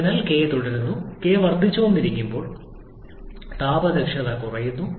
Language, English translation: Malayalam, So k keeps on, as k keeps on increasing, the thermal efficiency keeps on reducing